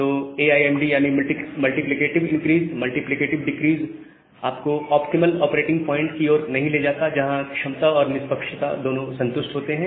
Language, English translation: Hindi, So, MIMD multiplicative increase multiplicative decrease does not lead you to a to a optimal operating point, where both the capacity and fairness constants are satisfied